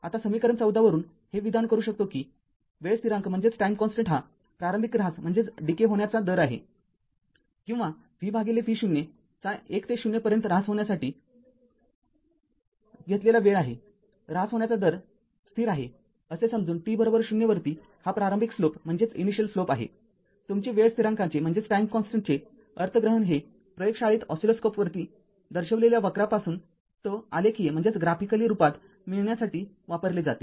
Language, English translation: Marathi, Now from equation 14 we can state that the time constant is the initial rate of decay or the time taken for v by V 0 to decay from unity to 0 assuming a constant rate of decay this initial slope at t is equal to 0, your your what you call interpretation of the time constant is used in the laboratory to determine tau graphically from the response curve displayed on an oscilloscope right